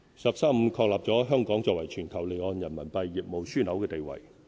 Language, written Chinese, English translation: Cantonese, "十三五"確立了香港作為全球離岸人民幣業務樞紐的地位。, The National 13 Five - Year Plan has confirmed Hong Kongs status as a global offshore RMB business hub